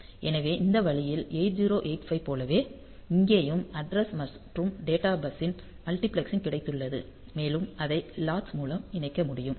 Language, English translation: Tamil, So, in this way just like 8085; so, here also we have got multiplexing of address and data bus and it can be connected through the latch